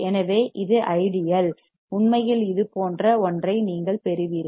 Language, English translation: Tamil, So, this is ideal in actual you will get something like this alright